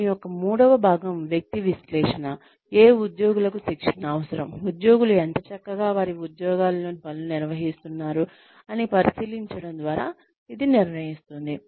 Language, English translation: Telugu, The third part of this is, person analysis, which determines, which employees need training, by examining, how well employees are carrying out the tasks, that make up their jobs